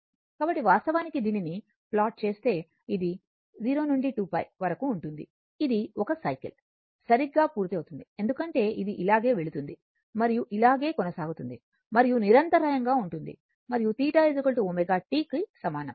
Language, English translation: Telugu, So, if you plot it so, this is from 0 to 2 pi, it is completing 1 cycle right because this is going like this and going like this and continuous it continuous and theta is equal to omega t right